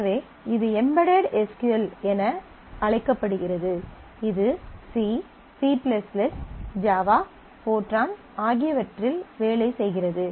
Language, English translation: Tamil, So, this is called the embedded SQL, it works for C, C++ , java fortran etcetera